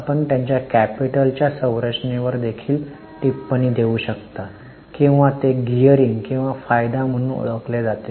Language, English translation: Marathi, We can also comment on their capital structure or it's known as gearing or leverage